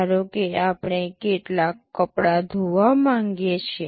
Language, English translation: Gujarati, Suppose we want to wash some cloths